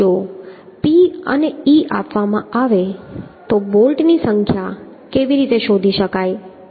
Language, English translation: Gujarati, So if p and e is given, then how to find out the number of bolts, So how to start with